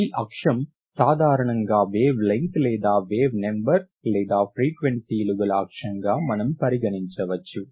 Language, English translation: Telugu, This axis is usually called the axis for the wavelength or wave numbers or frequency